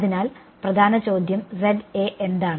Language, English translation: Malayalam, So, that is the thing